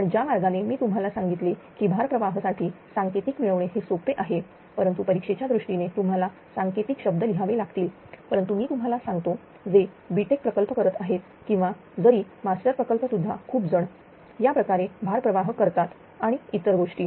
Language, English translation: Marathi, But the way I have told you that load flow one it is very easy one to derive the code right, but exam purpose you need to write code, but I am just telling those who are doing b tech project or this even master project also many are doing like this note through another thing